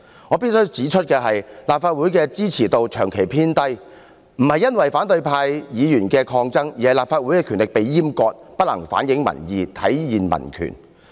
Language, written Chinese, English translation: Cantonese, 我必須指出，立法會的支持度長期偏低，並非因為反對派議員的抗爭，而是因為立法會的權力被閹割，不能反映民意，體現民權。, I must point out that the persistently low support rating of the Legislative Council is not a result of the resistance staged by the opposition camp but due to the castration of the Legislative Councils powers and its failure to reflect public opinions and demonstrate civil rights